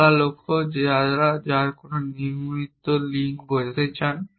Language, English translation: Bengali, By open goals, you mean no casual links